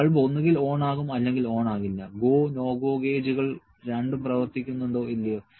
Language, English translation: Malayalam, Bulb on the gets on or does not get on; whether the go, no go gauges both are working or not